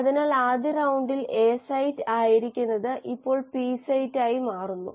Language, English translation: Malayalam, So what was the A site in the first round now becomes the P site